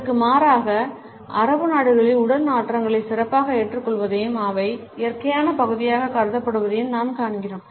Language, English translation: Tamil, In contrast we find in that in Arabic countries there is a better acceptance of body odors and they are considered to be natural part